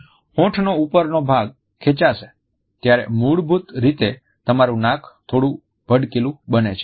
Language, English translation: Gujarati, The upper part of the lip will be pulled up, which basically causes your nose to flare out a little bit